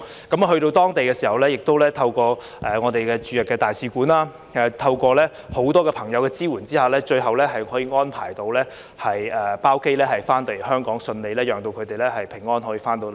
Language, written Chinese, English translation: Cantonese, 到達當地時，亦透過我們的駐日大使館，以及在很多朋友的支援下，最後可以安排包機返回香港，順利讓他們平安回來。, On arrival through the Embassy of our country in Japan and with the support of many friends we eventually managed to arrange a chartered flight to safely send them back to Hong Kong without a hiccup